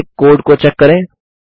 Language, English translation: Hindi, Again lets check the code